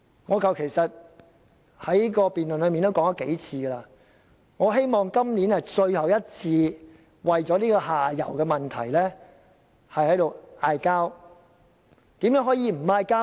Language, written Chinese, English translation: Cantonese, 我在辯論時已數次提到，我希望今年是我們最後一次為這個下游問題爭論，怎樣才可以停止爭論？, I have repeatedly pointed out in the debates that I hope our disputes about the downstream issue can be ended this year . How can the disputes be ended?